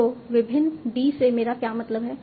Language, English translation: Hindi, So, what do I mean by various D